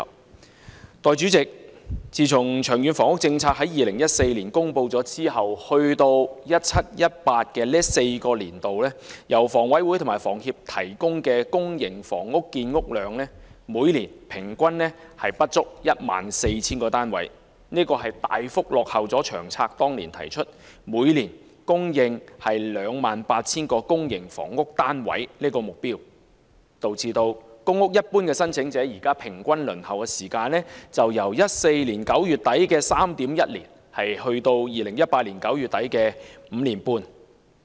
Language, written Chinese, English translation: Cantonese, 代理主席，自從《長遠房屋策略》於2014年公布後，直至 2017-2018 的4個年度，由香港房屋委員會和香港房屋協會提供的公營房屋建屋量每年平均不足 14,000 個單位，大幅落後於《長策》當年提出每年供應 28,000 個公營房屋單位的目標，導致公屋申請者的平均輪候時間由2014年9月底的 3.1 年升至2018年9月底的 5.5 年。, Deputy President in the four years since the promulgation of the Long Term Housing Strategy LTHS in 2014 until 2017 - 2018 the average annual production volumn of public housing by the Hong Kong Housing Authority HA and the Hong Kong Housing Society has been under 14 000 units which significantly fell behind the annual supply target of 28 000 public housing units as set out in LTHS . As a result the average waiting time for public housing allocation increased from 3.1 years in late September 2014 to 5.5 years in late September 2018